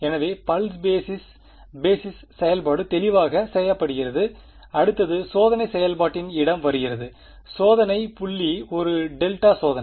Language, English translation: Tamil, So, the pulse basis the basis function is done clear next comes the location of the testing function, the testing point is a delta testing